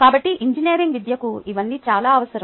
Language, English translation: Telugu, so all these are very essential for engineering education